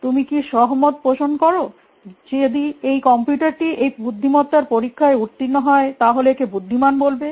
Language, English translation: Bengali, Do you agree that if a computer passes a test it will be considered to be intelligent, it qualify to be called intelligent